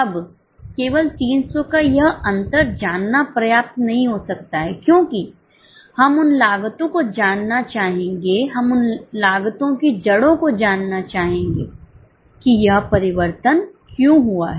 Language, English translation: Hindi, Now, just by knowing this difference of 300 may not be enough because we would like to know the cause, we would like to know the origin as to why this variance has happened